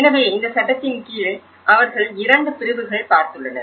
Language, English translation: Tamil, So and under this law, there are 2 categories which they looked